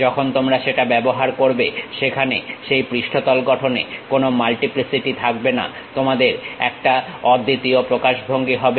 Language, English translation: Bengali, When you are using that, there will not be any multiplicities involved in that surface construction, you will be having that unique representation